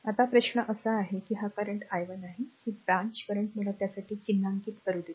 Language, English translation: Marathi, Now, question is that your ah this current is i 1 , ah this this branch current let me mark it for you